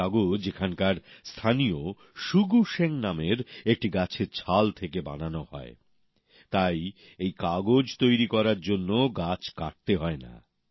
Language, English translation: Bengali, The locals here make this paper from the bark of a plant named Shugu Sheng, hence trees do not have to be cut to make this paper